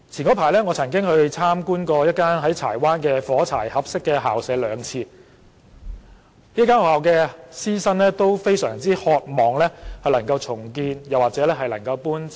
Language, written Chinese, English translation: Cantonese, 我早前曾經兩次參觀一間在柴灣的"火柴盒式校舍"，該校的師生均非常渴望校舍能獲重建或搬遷。, I had earlier twice visited a matchbox - style school premises in Chai Wan the teachers and students of which both longed for redevelopment or relocation of the school premises